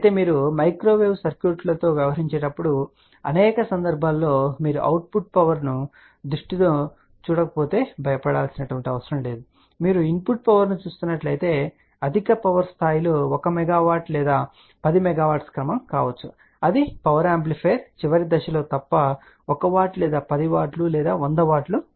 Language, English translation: Telugu, But do not be afraid most of the time when we are dealing with the microwave circuits if you are not looking at the output power sight if you are looking at the input power most of the power levels may be of the order of 1 milliwatt or even 10 milliwatt, except at the last stage high power amplifier which can be 1 watt or 10 watt or 100 watt